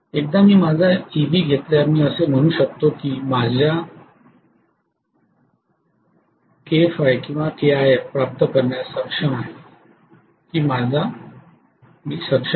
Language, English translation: Marathi, So once I get my Eb I can say I would be able to get my K5 or K times IF whatever